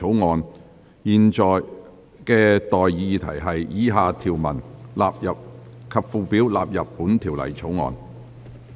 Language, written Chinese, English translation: Cantonese, 我現在向各位提出的待議議題是：以下條文及附表納入本條例草案。, I now propose the question to you and that is That the following clauses and schedule stand part of the Bill